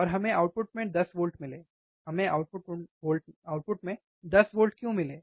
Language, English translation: Hindi, And we got 10 volts at the output, why we got 10 volts at the output